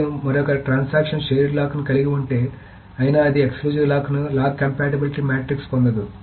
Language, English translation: Telugu, And if another transaction holds a shared lock, it cannot get an exclusive lock in it